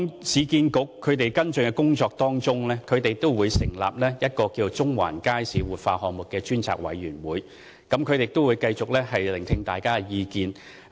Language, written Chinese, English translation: Cantonese, 市建局為跟進有關工作，成立了中環街市活化項目專責委員會，繼續聆聽大家的意見。, In order to follow up the work concerned URA set up an Ad Hoc Committee on the Central Market Revitalization Project to continue to listen to public views